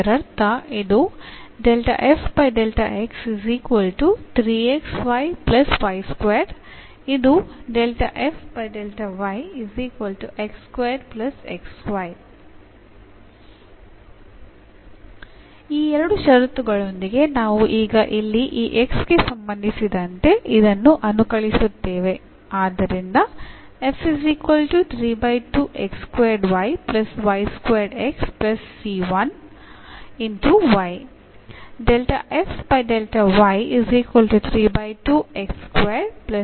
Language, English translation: Kannada, So, with these two conditions we will now integrate this one with respect to this x here